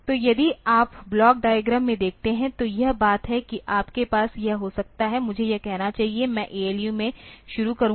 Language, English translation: Hindi, So, if you look into the block diagram, then this is the thing, that you can have this, there is, I should say, I will start with the ALU